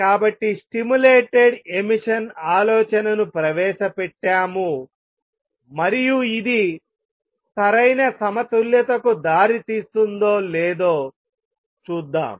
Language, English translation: Telugu, So, we have introduced the idea of stimulated emission and let us see if this leads to proper equilibrium